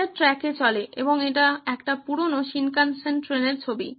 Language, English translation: Bengali, It runs on tracks yes and this is the picture of an oldish Shinkansen train